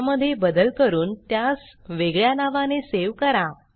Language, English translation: Marathi, Make changes to it, and save it in a different name